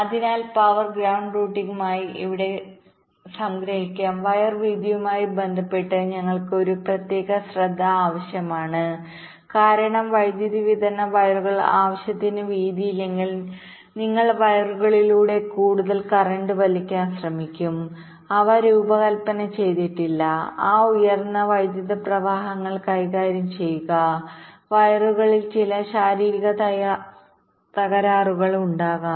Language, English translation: Malayalam, ok, so to summarize here: for power and ground routing we need special attentions with respect to the wire widths, because if the power supply wires are not width enough, then you will be trying to draw more current through the wires which are not design to to handle those high currents and there may be some physical break down in the wires